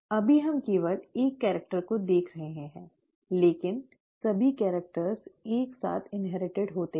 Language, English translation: Hindi, Right now we are looking at only one character, but all characters are being inherited simultaneously